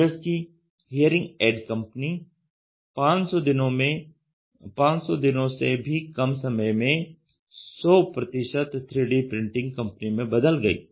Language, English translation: Hindi, U S Hearing Aid Company converted to 100 percent 3D printing in less than 500 day